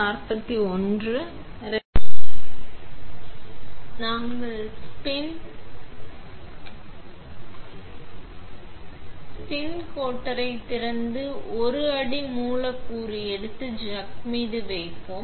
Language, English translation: Tamil, We will open the spin coater, take a substrate and place on the chuck